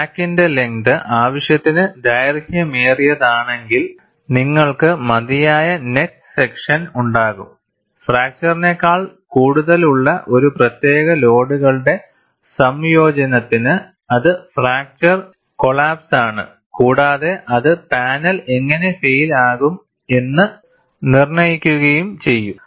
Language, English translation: Malayalam, If the crack length is sufficient be long enough, and you have the net section which is small enough, for a particular combination of loads, more than fracture, it would be plastic collapse, that would dictate how the panel will fail